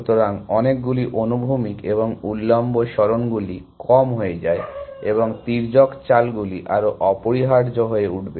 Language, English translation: Bengali, So, that many horizontal and vertical moves become less and diagonal moves will become more essentially